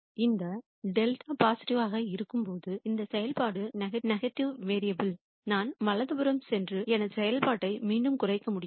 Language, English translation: Tamil, Now, when delta is positive if this function turns out to be negative then I can go in the to the right and then minimize my function again